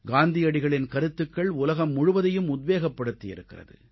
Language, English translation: Tamil, Mahatma Gandhi's philosophy has inspired the whole world